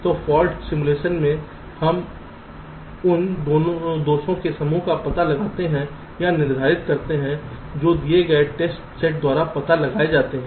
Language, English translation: Hindi, so in faults simulation we we detect or determine the set of faults that are detected by given test set